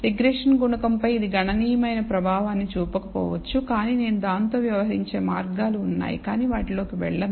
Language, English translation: Telugu, It may not have it may or may not have a significant effect on the regression coefficient, but there are ways of dealing with it which I will not go into